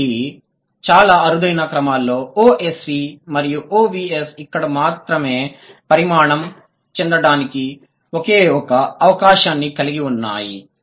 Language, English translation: Telugu, So, the very rare orders OSV and OVS have just a single chance to evolve only here, but the rest of them they have more chances